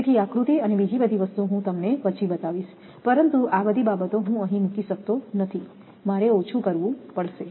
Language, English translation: Gujarati, So, diagram other thing I will show later, but all this things cannot be put it here, I have to condense